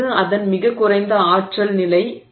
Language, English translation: Tamil, It is not its lowest energy state